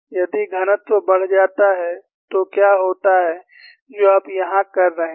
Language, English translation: Hindi, If the density increases, what happens is what you are having here